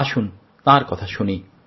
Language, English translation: Bengali, let's listen to his experiences